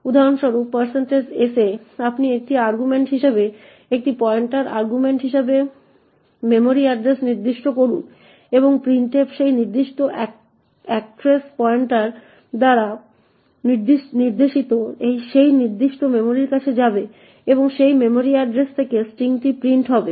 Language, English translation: Bengali, In % s for example you specify a memory address as the argument of a pointer as an argument and printf would go to that particular memory actress pointed to by that particular pointer and print the string from that memory address